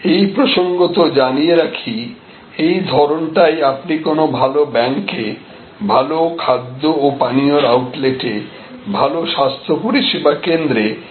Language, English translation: Bengali, So, you see that in good banks, you see that in good food and beverage outlets, you see that in good health care services and so on